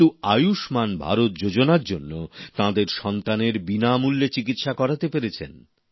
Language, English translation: Bengali, But due to the 'Ayushman Bharat' scheme now, their son received free treatment